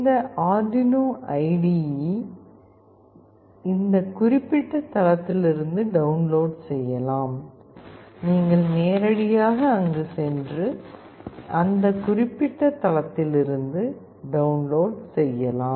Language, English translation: Tamil, This Arduino IDE can be downloaded from this particular site, you can directly go there and download from that particular site